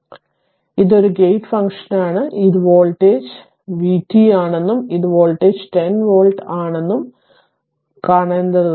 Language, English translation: Malayalam, So, it is a gate function so at; that means, you have to see that this voltage this is v t and this voltage is 10 volt right